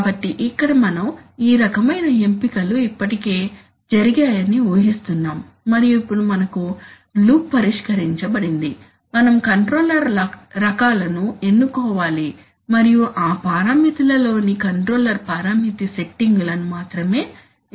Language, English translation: Telugu, So, here we are assuming that this kind of selections have already been done and now we have the loop fixed only we need to select the controller types and then the controller parameter settings in those parameters